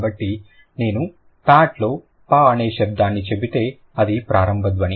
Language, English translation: Telugu, So, if I say the sound p as in pat, so that's the initial sound